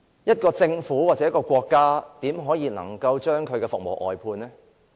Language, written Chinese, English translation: Cantonese, 一個政府或國家怎可以把服務外判呢？, How can a government or country outsource its services?